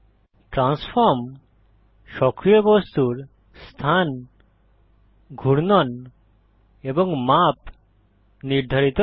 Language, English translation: Bengali, Transform determines the location, rotation and scale of the active object